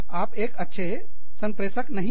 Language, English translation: Hindi, You are not a good communicator